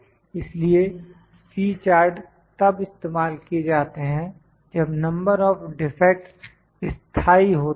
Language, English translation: Hindi, So, C chart is used when we have number of defects, number of defects are fixed